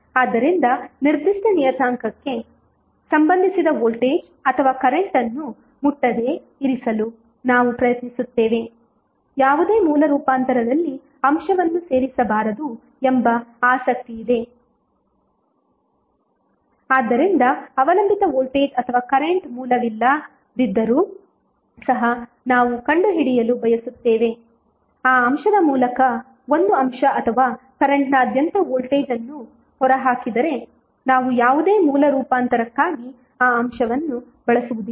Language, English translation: Kannada, So, we try to keep those parameters untouched the voltage or current associated with the particular element is of interest that element should not be included in any source transformation so, suppose even if there is no dependent voltage or current source but, we want to find out the voltage across a element or current through that element, we will not use that element for any source transformation